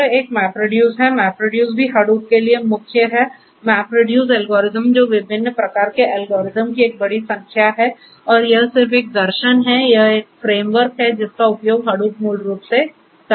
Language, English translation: Hindi, This is a MapReduce, MapReduce is also core to Hadoop, but MapReduce the algorithms that are there large number of different types of algorithms and their it is just a philosophy, it is a framework that Hadoop basically also uses